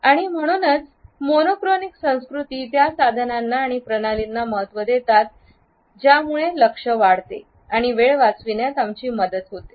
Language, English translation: Marathi, And therefore, monochronic cultures value those tools and systems which increase focus and help us in saving time